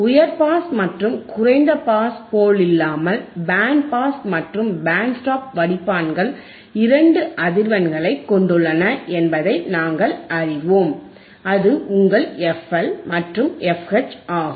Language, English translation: Tamil, That is what we are saying that we know that unlike high pass and low pass, band pass and band stop filters have two frequencies; that is your FL and FH